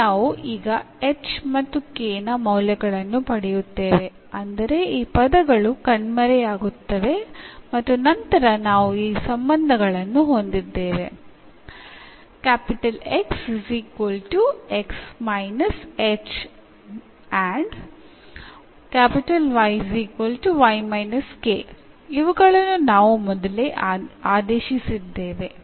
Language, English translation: Kannada, So, here we will get now the values of h and k such that these terms will vanish and then we have these relations, already which we have substituted